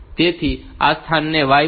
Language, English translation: Gujarati, So, this location gets the value y